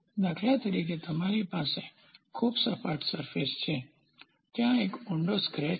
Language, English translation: Gujarati, For example; you have a very flat surface there is a deep scratch